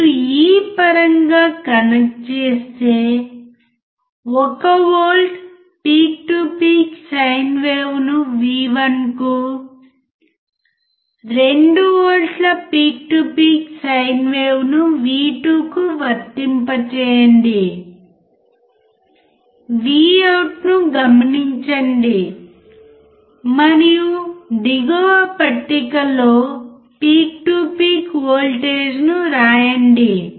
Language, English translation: Telugu, You just connect in terms of this one apply 1 volt peak to peak sine wave to V1, 2 volts peak to peak sine wave to V2, observe the Vout and note down the peak to peak voltage in the table below